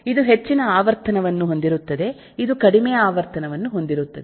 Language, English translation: Kannada, this will have a much lower frequency